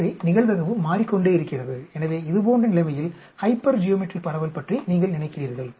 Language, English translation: Tamil, So, the probability keeps changing, so in such situation you think about hypergeometric distribution